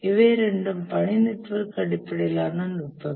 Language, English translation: Tamil, These are two task network based techniques